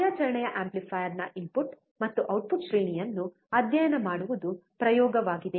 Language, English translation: Kannada, The experiment is to study input and output range of operational amplifier